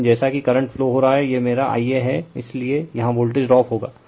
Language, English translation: Hindi, But, as the current is flowing, this is my I a so there will be voltage drop here